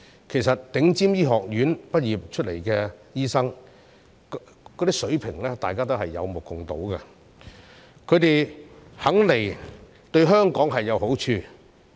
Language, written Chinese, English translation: Cantonese, 其實，從頂尖醫學院畢業的醫生的水平，大家也有目共睹，他們願意來港，對香港有好處。, In fact the standard of doctors graduated from top medical schools is known to all . If they are willing to come to Hong Kong it will benefit Hong Kong